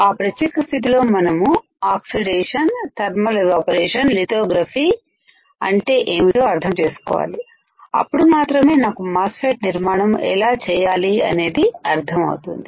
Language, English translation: Telugu, In that particular case we have to understand what is oxidation, what is thermal evaporation , what is lithography, and only then I can understand how the MOSFET can be fabricated